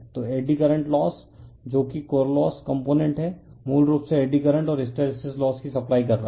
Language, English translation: Hindi, So, eddy current loss that is core loss component basically is supplying eddy current and hysteresis losses